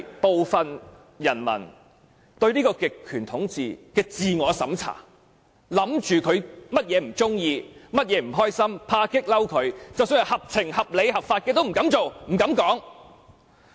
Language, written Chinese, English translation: Cantonese, 部分人民甚至進行自我審查，猜想極權者不喜歡甚麼，為何不開心，恐怕激怒他，即使是合情、合理、合法的事情也不敢做，不敢談論。, Some people even conduct self - censorship guessing what the totalitarian ruler dislikes and why it is unhappy fearing that he may be infuriated . They even do not dare do or discuss about reasonable and legitimate things